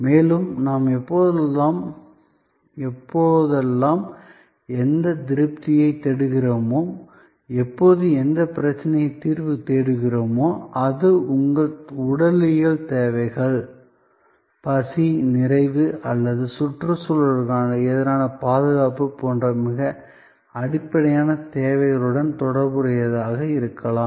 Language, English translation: Tamil, And it will tell you how, whenever we are seeking any satisfaction, whenever we are seeking solution to any problem, it can be related to very basic needs like your physiological needs, hunger, fulfillment or the protection against the environment too cold, too hot